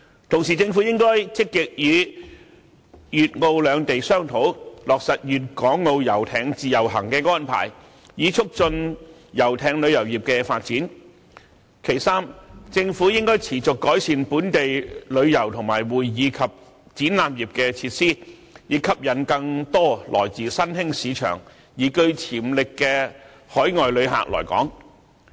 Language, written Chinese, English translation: Cantonese, 同時，政府應該積極與粵澳兩地商討，落實粵港澳遊艇"自由行"的安排，以促進遊艇旅遊業的發展；三、政府應該持續改善本地旅遊和會議及展覽業的設施，以吸引更多來自新興市場而具潛力的海外旅客來港。, Meanwhile the Government should proactively hold discussions with Guangdong and Macao on implementing an arrangement for Guangdong - Hong Kong - Macao sailing by pleasure vessels so as to promote the development of pleasure vessel tourism industry; 3 the Government should continuously improve local facilities of the tourism industry and the convention and exhibition industries so as to attract more overseas visitors with potential from emerging markets to Hong Kong